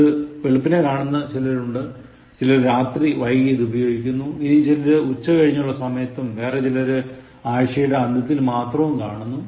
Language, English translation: Malayalam, Some of you are watching it early in the morning, some of you are watching it late at night, some of you are watching just during afternoon and some of you are watching only during weekends, that is fine